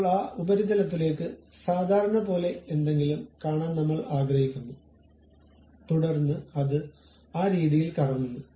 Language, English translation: Malayalam, Now, I would like to see something like normal to that surface, then it rotates in that way